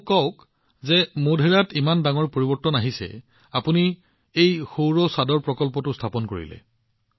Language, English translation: Assamese, Tell me, the big transformation that came in Modhera, you got this Solar Rooftop Plant installed